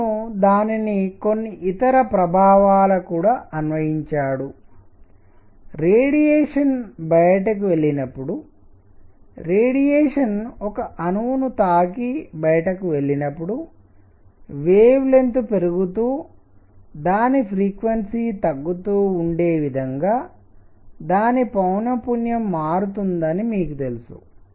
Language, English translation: Telugu, He also applied it to some other effects; call the; you know when the radiation goes out, radiation hits an atom and goes out, its frequency changes such that the wavelength increases its frequency goes down